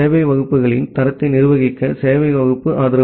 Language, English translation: Tamil, The service class support to manage quality of service classes